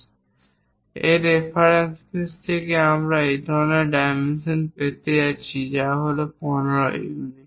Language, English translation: Bengali, From that reference base we are going to have such kind of dimension, 15 units